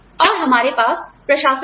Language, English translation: Hindi, And, we have administrators